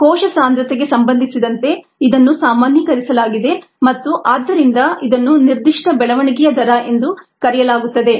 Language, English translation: Kannada, it is been normalized with respective cell concentration and therefore it is called the specific growth rate